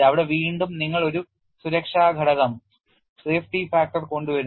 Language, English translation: Malayalam, There again you bring in a safety factor